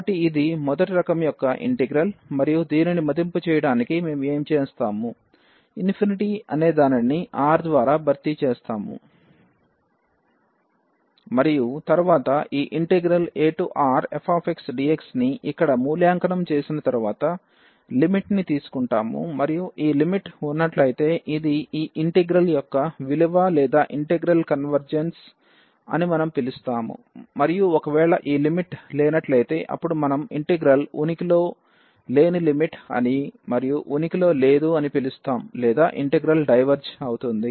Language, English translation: Telugu, So, this is the integral of first kind and to evaluate this what we will do we will replace that infinity by R this number and then later on after evaluating this integral here a to R f x dx and then we will take this limit and if this limit exists we call that this is the value of this integral or the integral converges and if this limit does not exist then we call the limit that the integral does not exist or the integral diverges